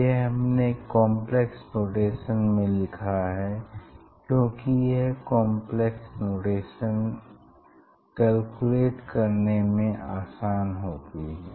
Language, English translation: Hindi, that we have written in complex notation, because it is easy to calculate easy to handle this complex notation